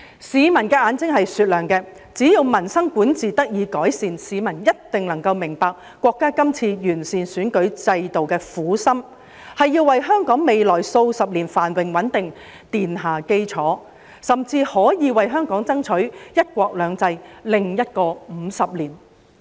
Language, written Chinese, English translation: Cantonese, 市民的眼睛是雪亮的，只要民生管治得以改善，市民一定能夠明白國家今次完善選舉制度的苦心，是要為香港未來數十年繁榮穩定奠下基礎，甚至可以為香港爭取"一國兩制"的另一個50年。, Members of the public have discerning eyes . When they see improvement in peoples livelihood and governance they will surely understand that the painstaking effort made by the State in improving the electoral system this time around is to lay the foundation of prosperity and stability for the coming decades for Hong Kong which may even secure another 50 years of one country two systems for Hong Kong